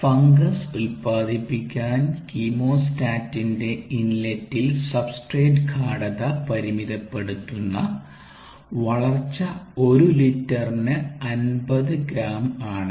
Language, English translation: Malayalam, the growth limiting substrate concentration at the inlet of a chemostat to produce fungus is fifty grams per liter